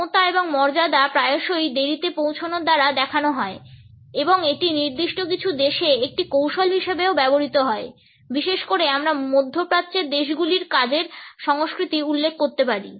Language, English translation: Bengali, Power and dignity are often shown by arriving late and it is also used as a tactic in certain countries particularly we can refer to the work culture of the Middle Eastern countries